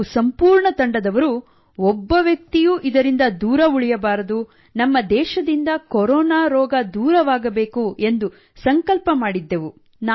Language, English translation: Kannada, All of us…the entire team had taken a resolve that not a single person should be left out…the Corona ailment should be made to run away from our country